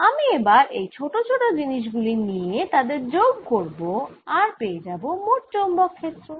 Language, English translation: Bengali, i'll calculate, add all these small small things and add them together and that gives me the [neck/net] net magnetic field